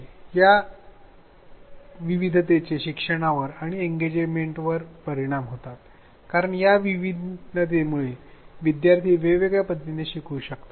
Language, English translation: Marathi, Now, these differences have implications on learning and on engagement they make because of these differences students may learn differently